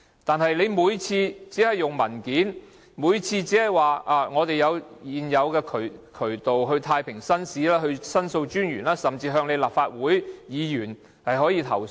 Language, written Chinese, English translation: Cantonese, 可是，它們每次也只以文件答覆，每次也是說現已有渠道，例如可向太平紳士、申訴專員或立法會議員投訴。, However every time they just submit papers and repeat the same answer that there are already channels for making complaints . For example one can lodge complaints with the JPs The Ombudsman or the Members of the Legislative Council